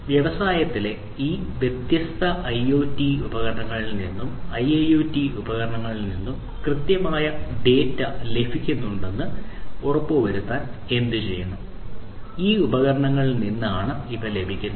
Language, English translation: Malayalam, To do what to ensure that the accurate data is obtained from these different IoT devices, IIoT devices, in the industry; these are obtained from these devices